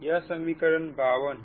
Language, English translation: Hindi, this is equation fifty